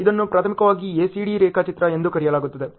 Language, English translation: Kannada, This is primarily called ACD diagram ok